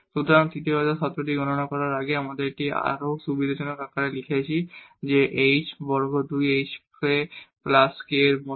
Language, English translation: Bengali, So, this is before we compute the third order term we have written this little more a convenient form that this is like h square two h k plus k square